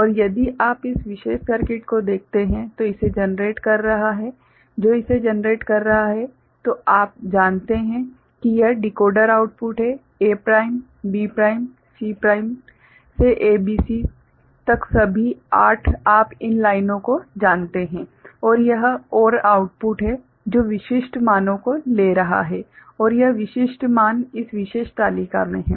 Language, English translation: Hindi, And if you look at this particular circuit which is generating this you know this is the decoder outputs A prime, B prime, C prime to ABC all 8 you know these lines and this is the OR outputs which is taking specific values right and this specific values are in this particular truth table